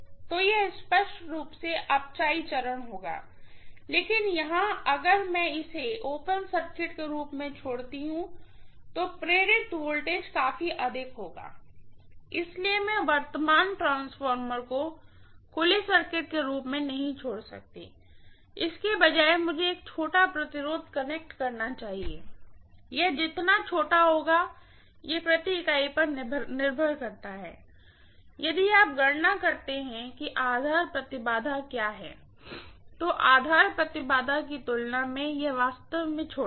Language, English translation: Hindi, So it will be clearly, you know step down, but here if I leave it as an open circuit, the voltage induced will be enormously high, so I can never leave the current transformer as an open circuit instead I should connect a small resistance, how small is small that depends upon again the per unit, if you calculate what is the base impedance, compared to base impedance make it really, really small